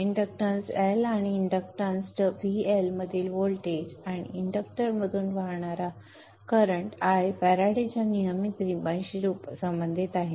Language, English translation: Marathi, The inductance L and the voltage across the inductance VL and the current I which is flowing through the inductor are related by the Faraday's law